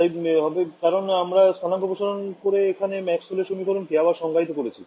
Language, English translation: Bengali, It should because, I have redefined my Maxwell’s equations with the coordinates stretching